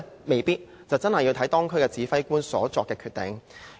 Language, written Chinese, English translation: Cantonese, 未必，真的視乎當區指揮官所作的決定。, Not necessarily for it is up to the commanders of the districts to make the decision